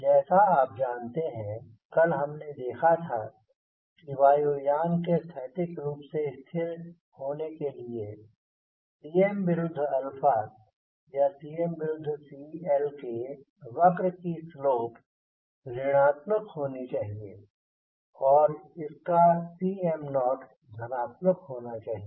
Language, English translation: Hindi, as you know, we saw yesterday that for an aircraft to be statically stable now cm versus alpha or cm versus cl curve should have negative slope and it should have a positive cm naught